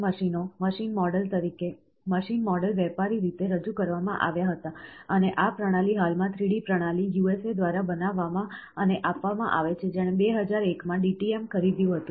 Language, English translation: Gujarati, The SLS machines, machine model were commercially introduced and these systems are currently manufactured and supplied by 3D systems, USA, which purchased DTM in 2001